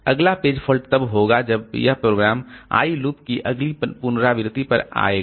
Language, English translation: Hindi, The next page fault will occur when this program will come to the next iteration of the I loop